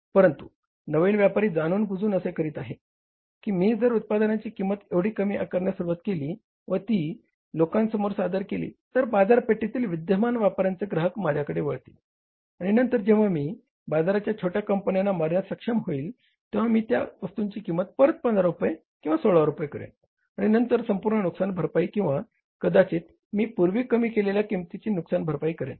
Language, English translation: Marathi, But the new player is knowingly doing it that if I start pricing the product at such a low price and offering it to the people, people will miss the players or the customers of the existing players in the market, they will shift to my side and later on when I am able to kill these small companies in the market, I will check up the price to 15 rupees or 16 rupees and then recover the whole loss or maybe the lesser recovery of the price which I have done in the past